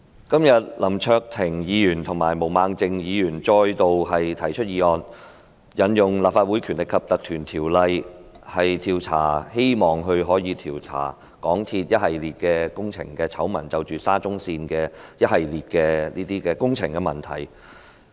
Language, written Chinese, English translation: Cantonese, 今天林卓廷議員及毛孟靜議員再度提出議案，希望可以引用《立法會條例》，調查香港鐵路有限公司沙田至中環線的一系列工程醜聞及問題。, Today Mr LAM Cheuk - ting and Ms Claudia MO have again proposed motions in the hope that the Legislative Council Ordinance can be invoked to investigate a series of scandals and problems relating to the construction works of the Shatin to Central Link SCL of the MTR Corporation Limited MTRCL